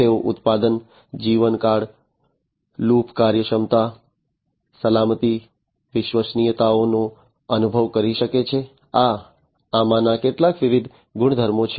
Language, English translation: Gujarati, And they can sense product lifetime, loop efficiency, safety, reliability these are some of these different properties